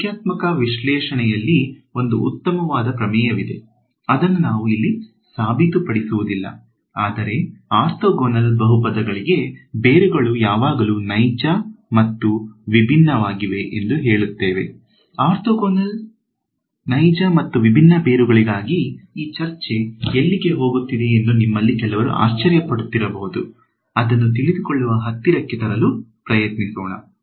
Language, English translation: Kannada, There is a nice theorem from numerical analysis which we will not prove over here, but it says that for orthogonal polynomials the roots are always real and distinct, we will just use it ok; so, for orthogonal real and distinct roots alright ok